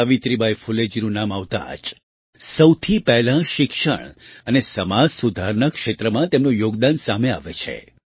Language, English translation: Gujarati, As soon as the name of Savitribai Phule ji is mentioned, the first thing that strikes us is her contribution in the field of education and social reform